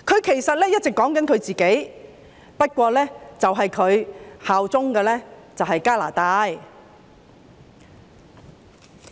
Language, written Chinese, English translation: Cantonese, 其實，他一直在說自己，不過他效忠的是加拿大。, In fact he has all along been talking about himself only that he is loyal to Canada